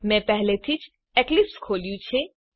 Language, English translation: Gujarati, I already have Eclipse opened